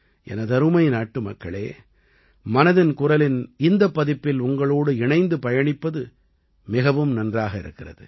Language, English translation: Tamil, My dear countrymen, it was great to connect with you in this episode of Mann ki Baat